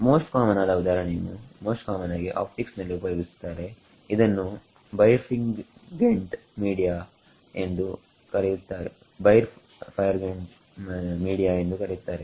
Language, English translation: Kannada, And the most common example in the most common use of this is in optics what is called birefringent media